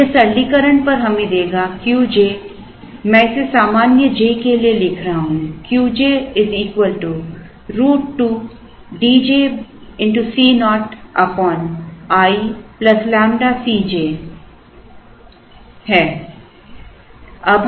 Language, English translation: Hindi, Now, this on simplification would give us Q j, I am writing it for a general j, as root over 2 D j C naught into i plus lambda C j